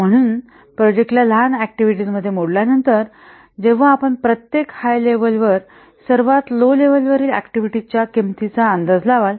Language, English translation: Marathi, So, after breaking the projects into activities, smaller activities, then you estimate the cost for the lowest level activities